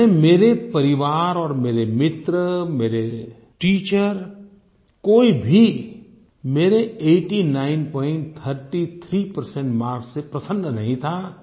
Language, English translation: Hindi, So it seems that my family, my friends, my teachers, nobody was pleased with my 89